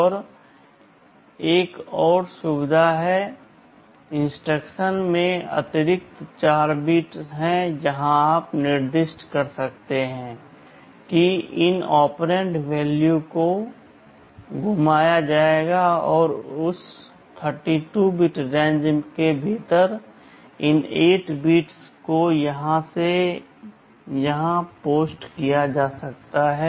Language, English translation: Hindi, And there is another facility, there are additional 4 bits in the instruction where you can specify that these operand value will be rotated and means within that 32 bit range these 8 bits can be positioned either here or here or here or here